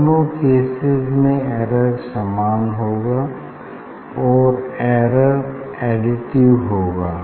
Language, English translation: Hindi, error in both case is the same and error is additive